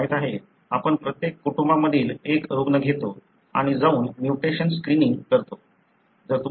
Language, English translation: Marathi, You know, we take one patient for every family and simply you go and screen for the mutations